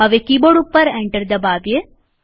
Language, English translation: Gujarati, Now press Enter on the keyboard